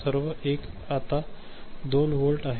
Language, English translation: Marathi, So, all 1 is now 2 volt